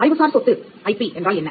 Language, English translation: Tamil, What is an intellectual property